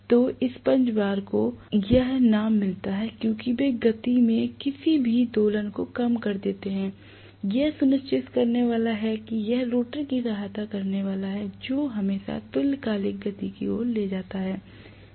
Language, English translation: Hindi, So damper bar gets that name because they damp out any oscillation in the speed, it is going to make sure that it is going to aid the rotor always goes towards synchronous speed